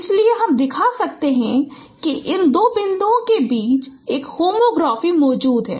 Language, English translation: Hindi, So we can show that there exists a homography between these two points